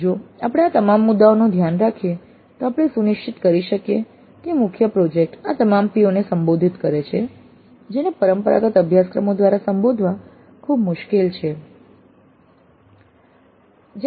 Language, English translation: Gujarati, If we take care of all these issues then we can ensure that the main project addresses all these POs which are very difficult to address through conventional courses